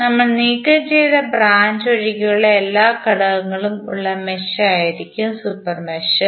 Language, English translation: Malayalam, Super mesh would be the mesh having all the elements except the branch which we have removed